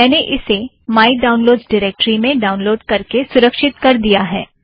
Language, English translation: Hindi, I have downloaded it in my downloads directory